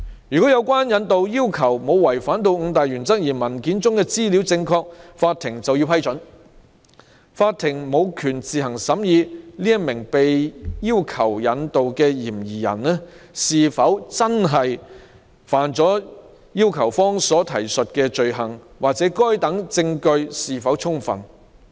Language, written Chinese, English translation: Cantonese, 如果引渡要求沒有違反五大原則，而文件的資料正確，法庭就要給予批准，並無權自行審議被要求引渡的嫌疑人是否犯了要求方提述的罪行或該等證據是否充分。, If the extradition request has not violated the five principles and the information in the documents is correct the court has to grant the request and it does not have the right to consider on its own whether the suspects requested to be extradited have committed the offences referred to by the requesting party or whether the evidence is sufficient